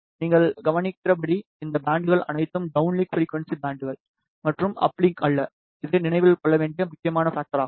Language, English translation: Tamil, As you can observe all these bands are downlink frequency bands and not uplink, this is an important factor to be remembered the system that is implemented looks like this